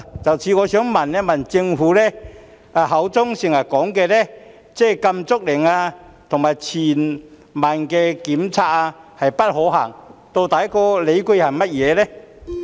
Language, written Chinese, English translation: Cantonese, 就此，我想問，政府口中經常說禁足令和全民檢測不可行的理據究竟是甚麼？, In this connection I wish to ask what exactly are the grounds for the impracticability of a lockdown and universal testing as the Government has oft - mentioned?